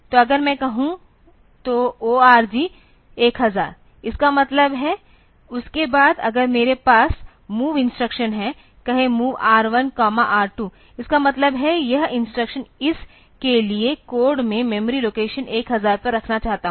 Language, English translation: Hindi, So, if I say ORG 1000; that means, after that if I have MOV instruction MOV say R1 comma R 2; that means, this instruction the code for this I want to put at memory location 1000